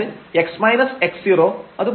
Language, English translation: Malayalam, So, this x so, this is 0